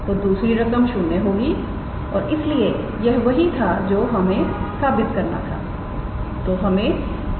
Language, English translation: Hindi, So, the other term is 0 and therefore, this is what we needed to prove